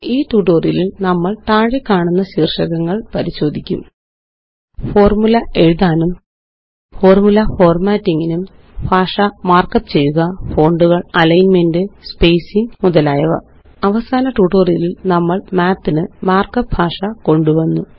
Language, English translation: Malayalam, In this tutorial, we will cover the following topics: Mark up language for writing formula and Formula formatting: Fonts, Alignment, and Spacing In the last tutorial, we introduced the mark up language for Math